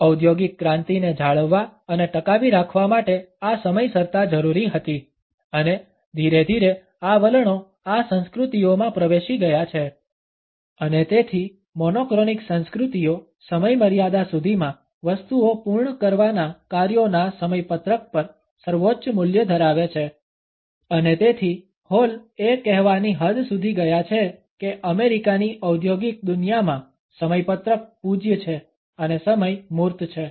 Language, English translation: Gujarati, This punctuality was necessary to maintain and sustain industrial revolution and gradually these attitudes have seeped into these cultures and therefore, monochronic cultures place a paramount value on schedules on tasks on completing the things by the deadline and therefore, Hall has gone to the extent to say that in the American business world, the schedule, is sacred and time is tangible